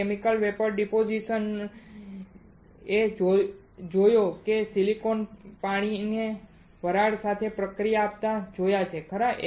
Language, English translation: Gujarati, You have seen Chemical Vapor Deposition in a way that you have seen silicon reacting with water vapor right